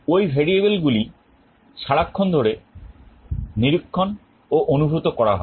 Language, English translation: Bengali, Those variables are being continuously monitored or sensed